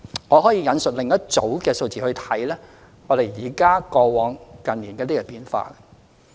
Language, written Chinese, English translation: Cantonese, 我可以引述另一組數字，比較過往和近年的一些變化。, I may quote another set of figures to compare some changes in the past with that in recent years